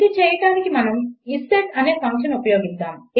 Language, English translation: Telugu, To do so, we will use a function called isset